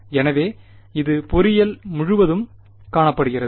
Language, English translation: Tamil, So, it is found throughout engineering